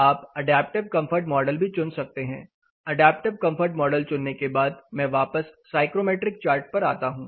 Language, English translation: Hindi, You can also choose adaptive comfort model chose adaptive comfort model I am going back to psychrometric chart